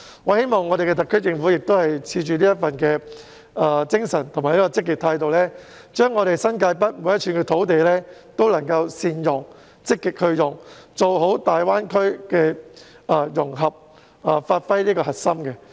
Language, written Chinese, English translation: Cantonese, 我希望特區政府也抱持着這份精神和積極態度，善用和積極使用新界北每一寸土地，做好粵港澳大灣區的融合工作，發揮核心作用。, I hope that the SAR Government by embracing the same spirit and proactive attitude will take the initiative to make good use of every inch of land in New Territories North and effectively take forward the integration of Hong Kong into the Guangdong - Hong Kong - Macao Greater Bay Area to enable Hong Kong to play a core role